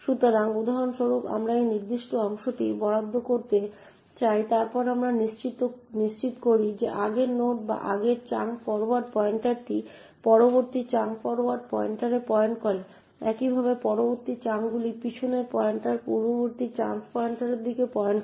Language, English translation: Bengali, So for example we want to allocate this particular chunk then we ensure that the previous node or the previous chunks forward pointer points to the next chunk forward pointer similarly the next chunks back pointer points to the previous chance pointer